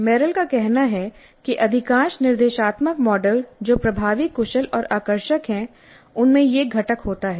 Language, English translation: Hindi, What Merrill says is that most of the instructional models that are effective, efficient and engaging have this component